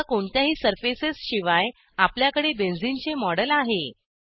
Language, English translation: Marathi, Now, we have a model of benzene without any surfaces